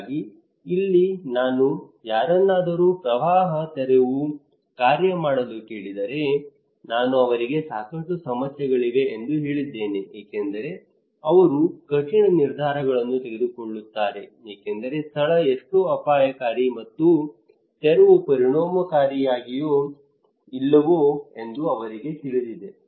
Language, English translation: Kannada, So here if I am asking someone to evacuate flood evacuations, I told that he has a lot of problems like is that difficult decisions because he does not know how risky the place is and evacuation is effective or not